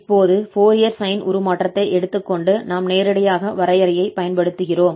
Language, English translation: Tamil, So taking the Fourier sine transform now of this, so we are applying this direct definition though we can use the derivative formula directly